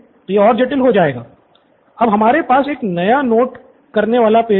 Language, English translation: Hindi, Student Siddhartha: We are creating a new note taking page sir